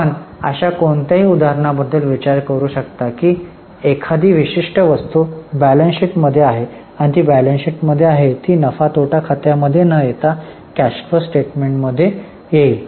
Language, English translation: Marathi, Can you think of any such example that a particular item is in balance sheet and because it is in balance sheet it will come in cash flow without coming in P&L